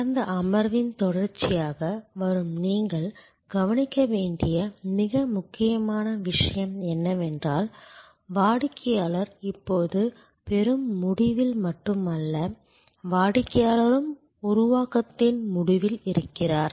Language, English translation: Tamil, The most important point for you to notice, which is coming as a continuation from the last session is that, customer is now not only at the receiving end, customer is also at the creation end